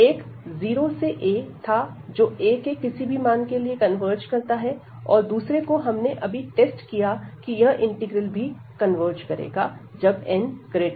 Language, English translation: Hindi, One was 0 to a which converges for any arbitrary a, and the second one we have just tested that this integral will also converge, whenever we have this n greater than equal to 1